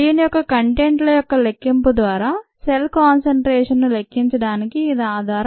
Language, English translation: Telugu, ok, this is the bases for the measurement of cell concentration through the measurement of it's contents